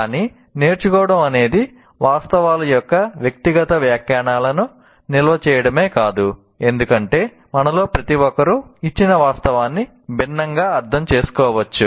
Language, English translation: Telugu, But learning involves not just storing personal interpretations of facts because each one of us may interpret a particular fact completely differently